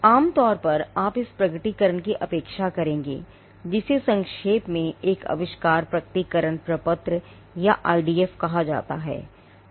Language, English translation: Hindi, Now, normally you would expect the disclosure to be made, in what is called an invention disclosure form or IDF for short